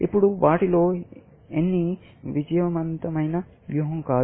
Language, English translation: Telugu, Now, none of them is a winning strategy